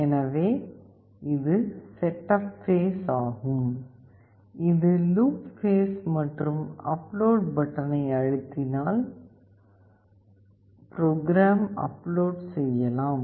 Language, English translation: Tamil, So, this is the setup phase, this is the loop phase and we press on the upload button to upload the program to it